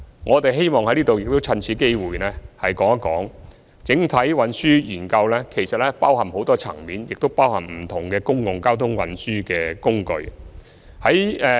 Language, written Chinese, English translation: Cantonese, 我希望在此說明，整體運輸研究其實包含許多層面和不同的公共運輸工具。, Here I would like to elucidate that a comprehensive transport study actually involves many aspects and different means of public transport